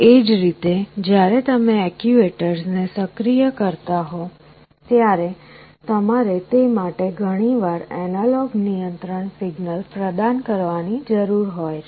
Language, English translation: Gujarati, Similarly when you are activating the actuators, you often need to provide an analog control signal for those